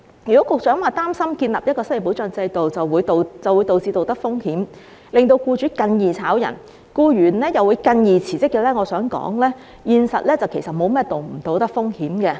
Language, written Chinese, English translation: Cantonese, 如果局長擔心建立一個失業保障制度，會導致道德風險，令僱主更容易解僱員工，僱員又會更容易辭職，我想說現實並沒有道德風險可言。, If the Secretary is concerned that the introduction of an unemployment protection system will give rise to moral hazards making it easier for employers to dismiss employees and for employees to resign I would like to say that in reality there are no moral hazards whatsoever